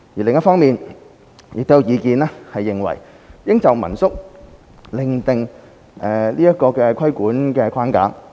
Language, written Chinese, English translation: Cantonese, 另一方面，亦有意見認為應就民宿另訂規管框架。, On the other hand there is an opinion that another regulatory framework should be formulated for home - stay lodgings